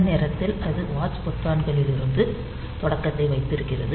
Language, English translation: Tamil, So, at this point of time it holds the starting from the watch buttons